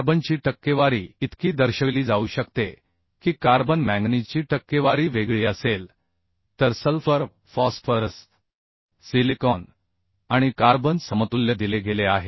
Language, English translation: Marathi, So different percentage of carbon, manganese, uhh, then sulpher, phosphorus, silicon and carbon equivalent has been given it